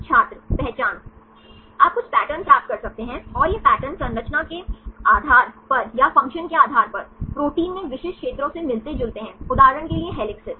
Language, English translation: Hindi, identifying You can get some patterns, and these patterns resemble specific regions in a proteins based on structure or based on function, typically for example, helices